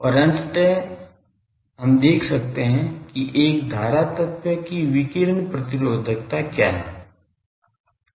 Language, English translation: Hindi, And ultimately we could see that a current element what is its radiation resistance